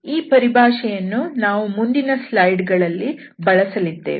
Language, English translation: Kannada, So, this terminology will be used in next slides